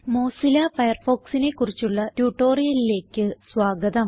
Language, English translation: Malayalam, Welcome to the this tutorial of Mozilla Firefox